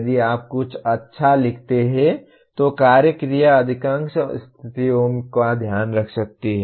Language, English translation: Hindi, If you write something well, one action verb can take care of most of the situations